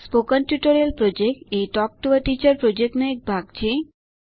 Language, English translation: Gujarati, Spoken Tutorial Project is a part of Talk to a Teacher project